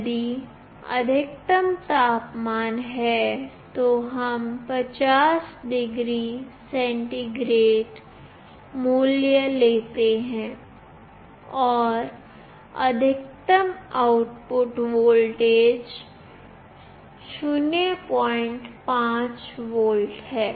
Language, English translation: Hindi, If maximum temperature is, let us say 50 degree centigrade, and the maximum output voltage is 0